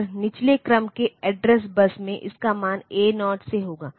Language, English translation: Hindi, And the lower order address bus it will have the value A 0 to A 7